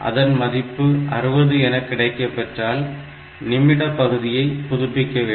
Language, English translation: Tamil, So, if it is 60; that means, I have to update the minute part